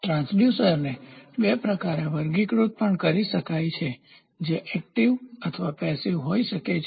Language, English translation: Gujarati, Transducers can also be classified into two which can be active or passive